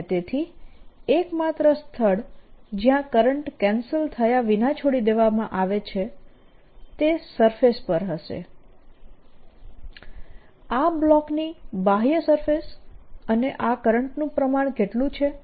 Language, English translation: Gujarati, and therefore the only places where the current is going to be left without being cancelled is going to be on the surfaces, outer surfaces of this block